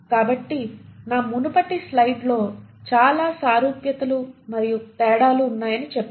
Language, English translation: Telugu, So there are, in my previous slide I said, there were plenty of similarities yet there are differences